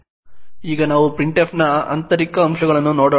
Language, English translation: Kannada, Now let us look at the internals of printf